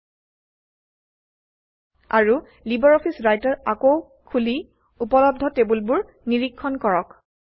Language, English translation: Assamese, And reopen LibreOffice Writer to check the tables availability again